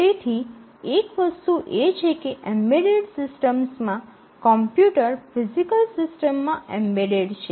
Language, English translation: Gujarati, So, one thing is that in the embedded system the computer is embedded in the physical system